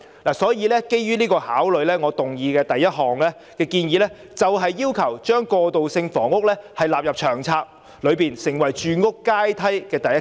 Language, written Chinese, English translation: Cantonese, 因此，基於這些考慮，我的議案第一部分建議，把過渡性房屋納入《長策》，成為住屋階梯的第一級。, There are no supply target and timetable . Therefore based on these considerations part 1 of my motion proposes to include transitional housing in LTHS as the first rung on the housing ladder